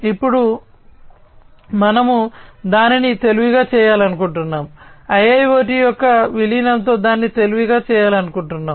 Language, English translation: Telugu, Now, let us look at we want to make it smarter right, we want to make it smarter with the incorporation of IIoT